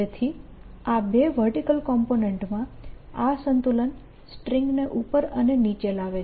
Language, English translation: Gujarati, so this, this balance in the in the two vertical components, make the string up and down